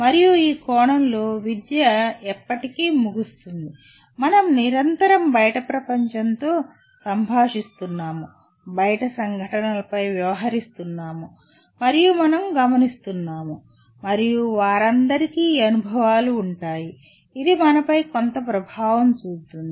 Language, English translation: Telugu, And education in this sense never ends, we are continuously interacting with outside world, we are acting on events outside and we are observing and all of them will have these experiences, will have some influence on us